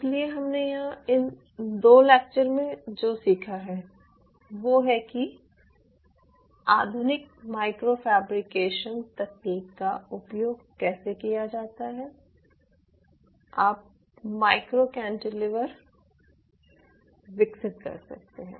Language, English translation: Hindi, so what we have learned here in these two classes is how, using the modern micro fabrication technology, you can develop cantilever, cantilevers, micro cantilevers